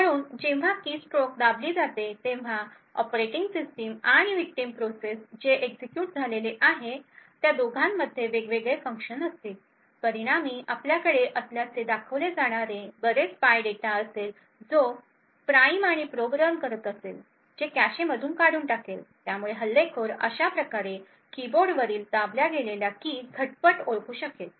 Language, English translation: Marathi, So whenever a keystroke is pressed it results in a lot of different functions both in the operating system and both in the victim application that gets executed, as a result we would have a lot of the spy data which is running the Prime and Probe to be evicted from the cache thus the attacker would be able to identify the instant at which the keys on the keyboard were pressed